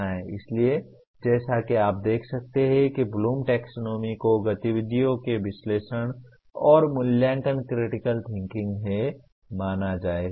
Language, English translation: Hindi, So as you can see critical thinking will/is subsumed by analysis and evaluate activities of Bloom’s taxonomy